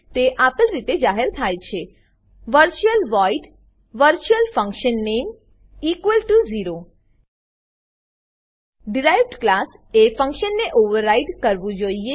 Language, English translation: Gujarati, It is declared as: virtual void virtualfunname()=0 A derived class must override the function